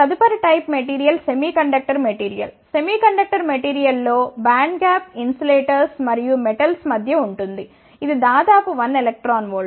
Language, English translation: Telugu, The next type of material is the semiconductor material, in the band gap in the semiconductor material is between the insulators and the metals, it is of the order of 1 electron volt